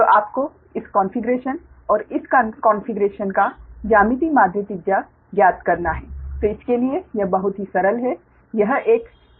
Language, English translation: Hindi, so you have to find geometric mean radius of this configuration and this configuration, right then for this one, very simple, it is